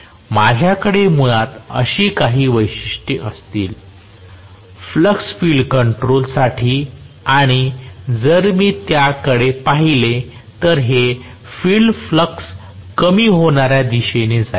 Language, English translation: Marathi, So, I will have basically the characteristics somewhat like this, for the field flux control; and if I look at it this field flux decreasing direction